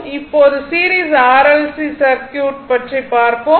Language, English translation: Tamil, Now, we will see series R L C circuit right